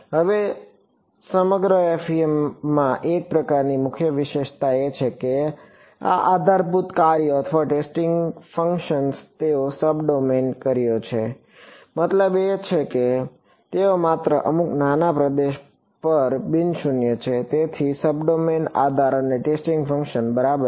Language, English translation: Gujarati, Now, throughout FEM one of the sort of key features is that these basis functions or testing functions they are sub domain functions; means, they are non zero only over some small region so, sub domain basis and testing functions ok